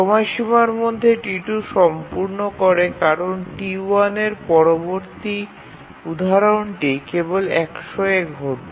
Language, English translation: Bengali, So well within the deadline T2 completes because the next instance of T1 will occur only at 100